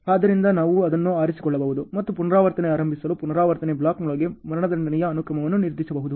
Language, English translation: Kannada, So, we can choose that and decide the sequence of execution within the iteration block to initiate the iteration ok